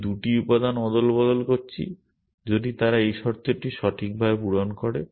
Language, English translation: Bengali, I am swapping 2 elements if they satisfy this condition right